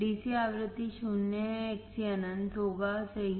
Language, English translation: Hindi, DC frequency is zero, Xc would be infinite right